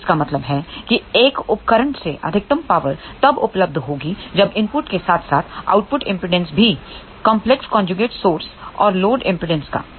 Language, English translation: Hindi, So that means, maximum available power from a device would be when input as well as output impedances are complex conjugate of the source and load impedances